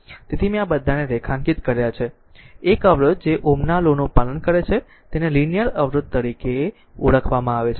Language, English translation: Gujarati, So, I have underlined these one so, a resistor that obeys Ohm’s law is known as a linear register